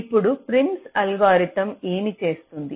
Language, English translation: Telugu, now, prims algorithm, what it does